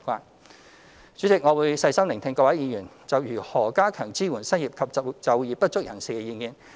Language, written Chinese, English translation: Cantonese, 代理主席，我會細心聆聽各位議員就如何加強支援失業及就業不足人士的意見。, Deputy President I will listen attentively to Members opinions on strengthening the support for the unemployed and underemployed and give a comprehensive response after listening to Members speeches